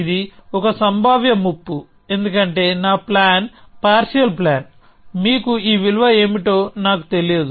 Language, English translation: Telugu, It is a potential threat, because my plan is a partial plan; I do not know what this value for y is